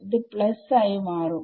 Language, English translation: Malayalam, That will be plus smaller